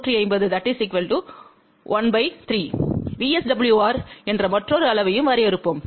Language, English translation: Tamil, Let us also define another quantity which is VSWR